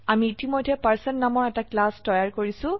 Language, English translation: Assamese, I have already created a class Person